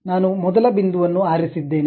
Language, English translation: Kannada, The first point I have picked